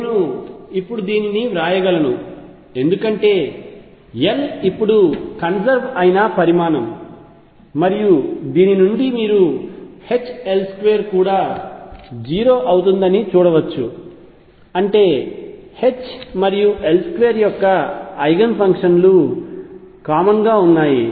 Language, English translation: Telugu, I can write this because L now is a conserved quantity and you can see from this that H L square is also going to be 0 this means eigen functions of H and L square are common